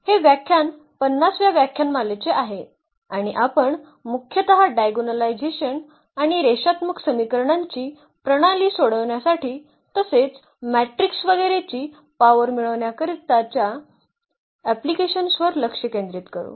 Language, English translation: Marathi, This is lecture number 50 and we will mainly focus on iagonalization and also it is applications for solving system of linear equations, also for getting the power of the matrices etcetera